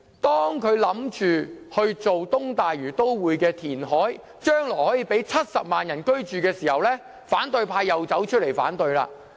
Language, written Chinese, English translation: Cantonese, 當政府建議填海發展東大嶼都會，供70萬人日後居住時，反對派卻提出反對。, When the Government proposed reclaiming land from the sea to develop the East Lantau Metropolis for housing 700 000 people in the future opposition Members raised objections